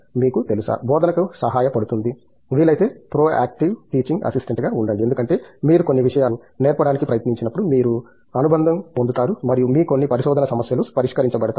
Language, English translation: Telugu, You know, teaching helps so, be a very trying be a proactive teaching assistant if possible, because when you try to teach certain things you will get the connect and your some of your research problems get do gets solved